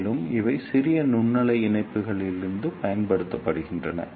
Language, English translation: Tamil, And these are also used in portable microwave links